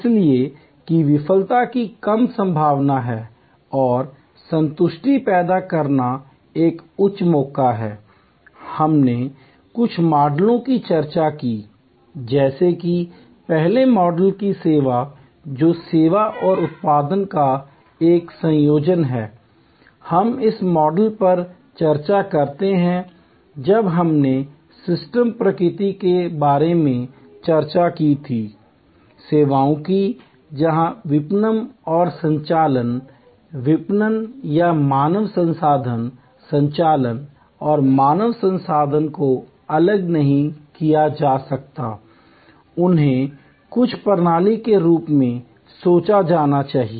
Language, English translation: Hindi, So, that there is a lesser chance of failure and a higher chance of generating satisfaction, we discussed some models like the servuction model earlier, which is the a combination of service and production, this we discuss this model when we discussed about the systems nature of services, where marketing and operations, marketing or human resource, operations and human resource cannot be segregated, they have to be thought of as a total system